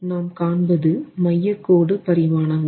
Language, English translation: Tamil, So, it's convenient to work on centerline dimensions